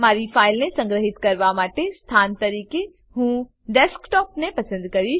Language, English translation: Gujarati, I will select Desktop as the location to save my file